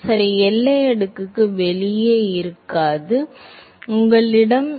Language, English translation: Tamil, Well outside the boundary layer, no will not be, you will not have